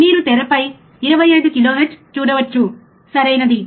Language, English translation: Telugu, You can see in the screen 25 kilohertz, correct